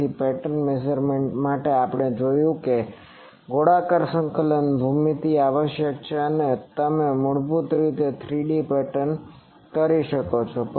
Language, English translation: Gujarati, So, for pattern measurement we have seen that spherical coordinate geometry is required and you can have basically it is a 3D pattern